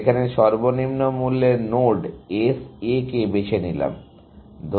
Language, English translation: Bengali, So, pick the least cost node S A